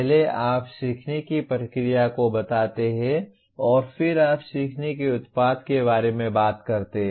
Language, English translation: Hindi, First you state the learning process and then you talk about learning product